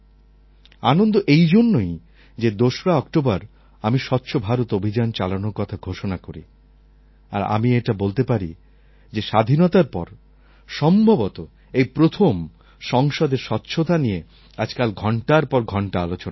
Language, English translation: Bengali, On the 2nd of October, I declared this cleanliness drive and I think something like this has happened for the first time after Independence because even in the parliament, cleanliness is being discussed for hours these days